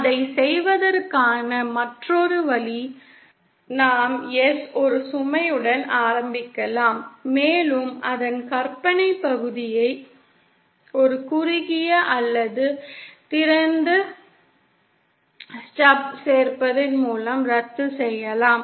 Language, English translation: Tamil, Yet another way of doing it could be we start with a load and we simply cancel its imaginary part by either adding a shorted or open